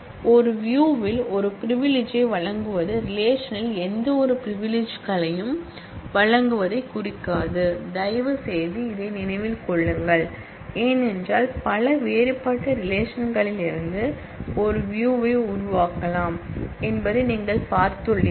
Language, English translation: Tamil, Granting a privilege on a view does not imply granting any privileges on the underline relation, please mind this one, because, you have seen that a view can be formed from multiple different relations